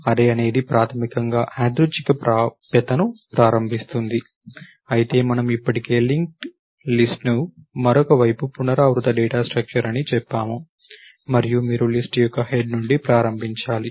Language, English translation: Telugu, An array is basically enables random access, whereas we already said a linked list on the other hand is a recursive data structure and you have to start from the head of the list